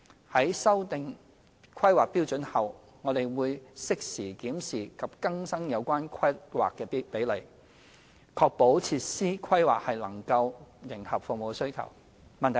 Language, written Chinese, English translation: Cantonese, 在修訂《規劃標準》後，我們亦會適時檢視及更新有關規劃比率，確保設施規劃能迎合服務需求。, After HKPSG has been amended we will review and update the relevant planning ratios at suitable junctures to ensure that the planning of facilities could meet the service demand